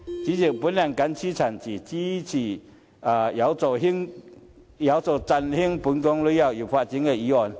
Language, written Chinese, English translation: Cantonese, 主席，我謹此陳辭，支持有助振興本港旅遊業發展的議案。, With these remarks President I support the motion which will help revitalize our tourism industry